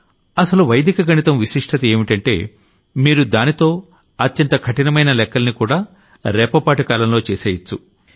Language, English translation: Telugu, The most important thing about Vedic Mathematics was that through it you can do even the most difficult calculations in your mind in the blink of an eye